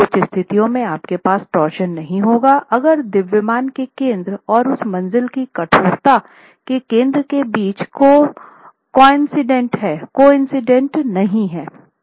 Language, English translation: Hindi, In situations you might have torsion, in some situations you might not have torsion if the eccentricity between the center of mass and central stiffness of that story is coincident